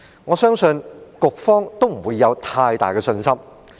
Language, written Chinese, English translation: Cantonese, 我相信局方沒有太大的信心。, I believe the Bureau does not have much confidence